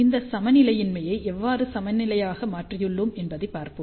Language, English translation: Tamil, So, let us see how we have converted this unbalance to balance